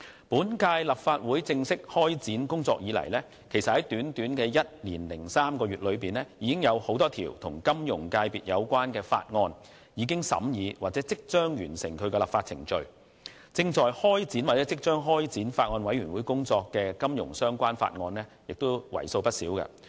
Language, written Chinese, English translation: Cantonese, 本屆立法會正式開展工作以來，在短短的一年零三個月，多項與金融界別有關的法案已完成審議或即將完成立法程序；亦有多項金融相關法案正在或即將交由法案委員會審議。, Since the formal commencement of the operation of the current - term Legislative Council deliberations on a number of bills related to the financial sector have been completed or the legislative processes are about to be completed within a year and three months and a number of financial - related bills have been or will be submitted to the Bills Committee for consideration